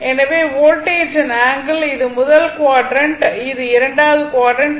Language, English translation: Tamil, So, angle of the voltage this is first quadrant